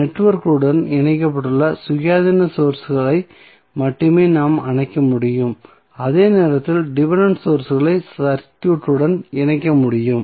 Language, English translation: Tamil, We can only turn off the independent sources which are connected to the network while leaving dependent sources connected to the circuit